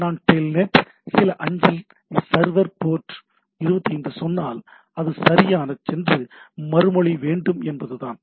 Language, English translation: Tamil, So, if I say telnet, some mail server, port 25, it will respond back right